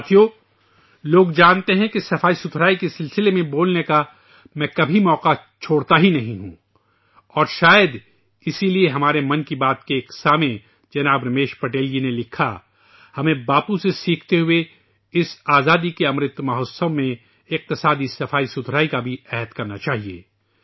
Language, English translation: Urdu, people know that I don't ever let go any chance to speak in connection with cleanliness and possibly that is why a listener of 'Mann Ki Baat', Shriman Ramesh Patel ji has written to me that learning from Bapu, in this "Amrit Mahotsav" of freedom, we should take the resolve of economic cleanliness too